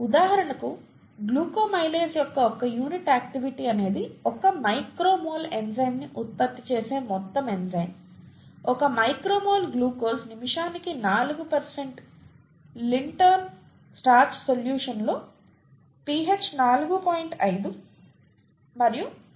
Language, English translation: Telugu, For example, one unit activity of glucoamylase is the amount of enzyme which produces 1 micro mol of enzyme, 1 micro mol of glucose per minute in a 4% Lintner starch solution at pH 4